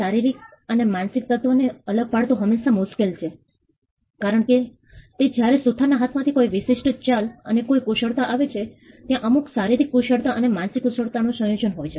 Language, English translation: Gujarati, It is sometimes hard to segregate the physical and mental element, because when there is a particular move or a skill that comes out of the carpenter’s hand; there is a combination of certain physical skills and mental skills